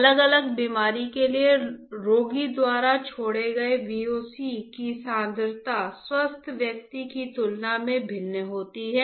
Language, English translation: Hindi, The concentration of VOCs exhaled by patient for different disease is different than in the healthy patient or the healthy person